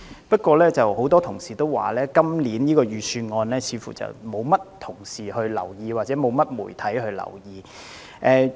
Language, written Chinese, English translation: Cantonese, 不過，很多同事說今年的財政預算案似乎得不到議員或媒體的留意。, Nevertheless many colleagues say that the Budget this year has seemingly failed to catch the attention of Members or the media